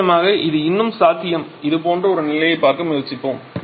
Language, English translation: Tamil, Of course that is still possible let us try to see a situation like this